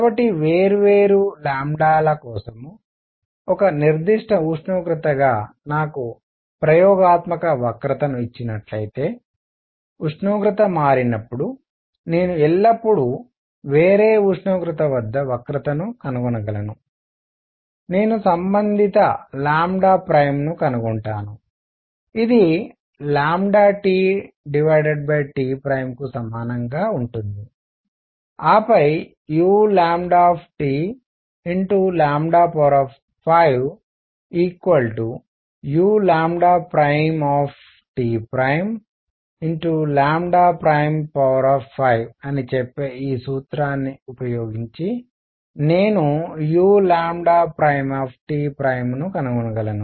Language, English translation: Telugu, So, if I am given the experimental curve as a particular temperature for different lambdas, I can always find the curve at some other temperature because as the temperature changes, I will find the corresponding lambda prime which will be equal to lambda T over T prime and then using this formula which says that u lambda T lambda 5 is equal to u lambda prime T prime lambda prime raise to 5, I can find u lambda prime T prime